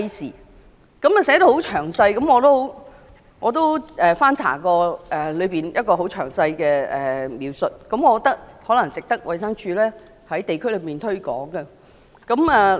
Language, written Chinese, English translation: Cantonese, 這項通知寫得很詳細，我曾翻查當中很詳細的描述，我認為值得衞生署在地區上推廣。, This notice is very detailed . I have read the detailed description written on it and I think it is worthy of promotion by DH at the district level